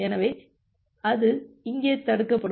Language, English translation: Tamil, So, it is it will get blocked here